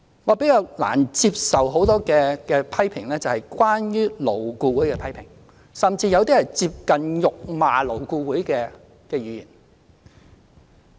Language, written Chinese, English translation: Cantonese, 我比較難接受的是針對勞顧會的批評，甚至有些是接近辱罵勞顧會的言論。, What I find rather unacceptable are Members criticisms of LAB . Some of them even came close to insulting LAB